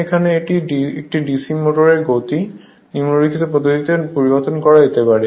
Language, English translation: Bengali, For this it would be seen that the speed of a DC motor can be changed by the following methods